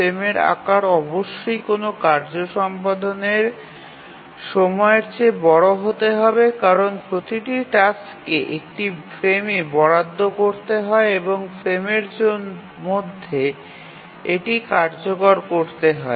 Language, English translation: Bengali, The first thing is that the frame size must be larger than any task execution time because each task must be assigned to one frame and it must complete its execution in the frame